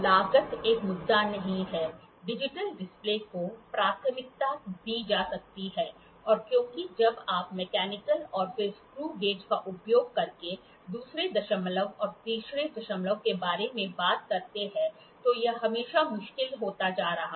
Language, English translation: Hindi, The cost is not an issue; digital display may be preferred because when you talk about second decimal and third decimal using mechanical and then screw gauge, it is always now becoming difficult